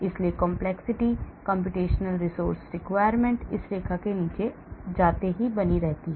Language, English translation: Hindi, so the level of complexity, computational resource requirement keeps going up as we go down this line